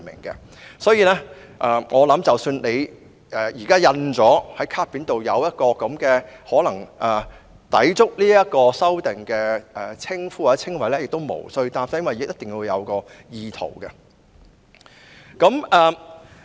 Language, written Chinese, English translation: Cantonese, 因此，我相信即使現時卡片上已印有可能抵觸有關修訂的名稱或稱謂也不必擔心，因為還要視乎意圖這因素。, Therefore I believe even if the name or description currently printed on a persons name card has possibly breached the proposed amendments there is no need to worry because the element of intention must also be taken into consideration